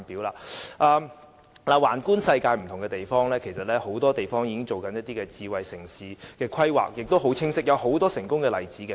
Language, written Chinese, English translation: Cantonese, 綜觀世界不同的地方，其實很多地方已經進行很清晰的智慧城市的規劃，亦有很多成功的例子。, An overview of different places around the world shows that many places have already made clear smart city planning and there are numerous examples of success too